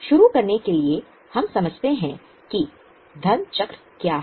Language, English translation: Hindi, But to begin with, this is what is a money cycle